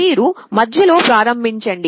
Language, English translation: Telugu, You start with the middle